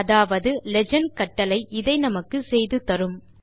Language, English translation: Tamil, Equivalently, the legend command does this for us